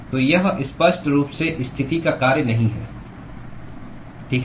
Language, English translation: Hindi, So, it is obviously not a function of the position, okay